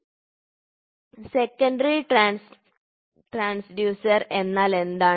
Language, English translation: Malayalam, So, what is the secondary transducer